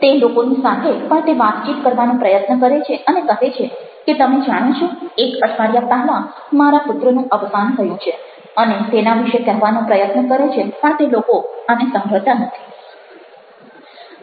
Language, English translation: Gujarati, he is trying his to best to communicate and say that do you know, my son died a week back, and even keeps on trying to speak about it and they are not listening to him